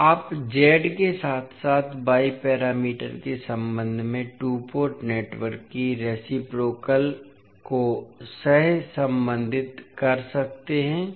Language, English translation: Hindi, So, you can correlate the reciprocity of the two port network with respect to Z as well as y parameters